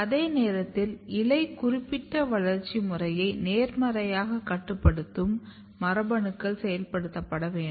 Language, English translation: Tamil, At the same time the genes which are positively regulating the leaf specific developmental program they need to be activated